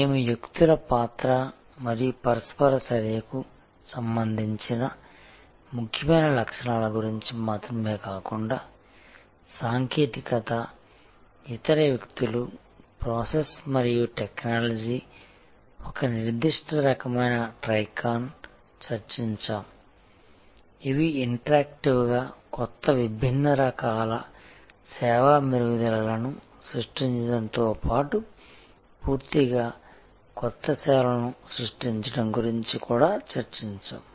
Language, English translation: Telugu, We discussed about the important features not only with respect to role of people and that interaction, but also technology and how people, process and technology firm a certain kind of Trica, which are interactively creating new different types of service improvements as well as creating new services altogether